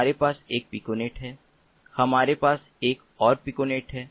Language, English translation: Hindi, so this piconet, we have one piconet, we have another piconet, we have another piconet